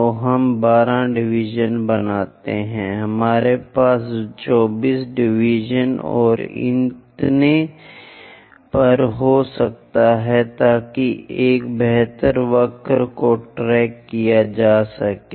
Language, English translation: Hindi, So, we make 12 divisions, we can have 24 divisions and so on so that a better curve can be tracked